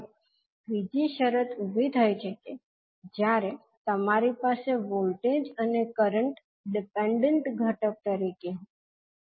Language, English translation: Gujarati, Now, third condition may arise when you have, voltage and current as a dependent component